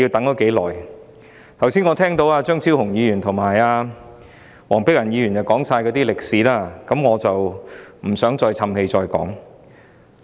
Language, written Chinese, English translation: Cantonese, 我剛才聽到張超雄議員和黃碧雲議員說出《條例草案》的歷史，我不想再說一遍。, Earlier on I heard Dr Fernando CHEUNG and Dr Helena WONG talk about the history of the Bill so I do not want to repeat